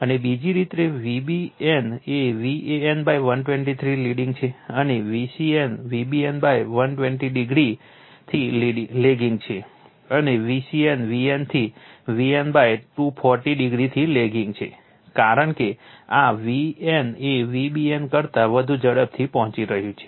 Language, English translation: Gujarati, And other way V b n is lagging from V a n by 120 degree, and V c n is lagging from V b n by 120 degree, and V c n is lagging from V n from V n by 240 degree, because this V n is reaching it is peak fast than V b n right